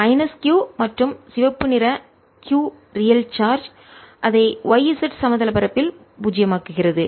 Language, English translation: Tamil, minus q and red q the real charge make it zero on the y z plane